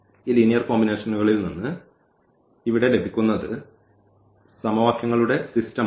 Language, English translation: Malayalam, So, out of those that is system of equations here from this linear combinations